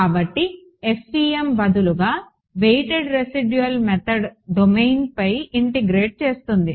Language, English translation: Telugu, So, instead FEM says weighted residual method integrate over domain